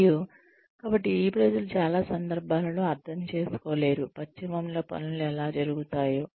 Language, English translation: Telugu, And, so these people, will not in most cases understand, how things are done in the west